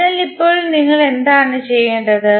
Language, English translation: Malayalam, So, now what you have to do